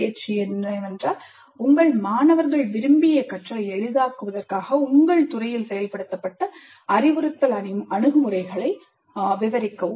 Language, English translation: Tamil, Please describe the instructional approaches implemented in your department for facilitating desired learning by your students